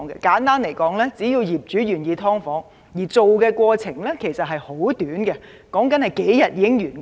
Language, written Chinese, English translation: Cantonese, 簡單而言，只要業主願意建造"劏房"，建造過程其實是很短的，只需數天便可完工。, Simply put so long as landlords are prepared to create subdivided units the works process is actually very short and can be completed in just a few days